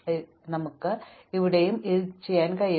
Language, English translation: Malayalam, So, we can do the same thing here, right